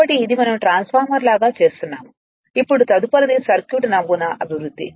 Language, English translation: Telugu, So, that is your we are make a like a transformer we are making it, now, development of circuit model next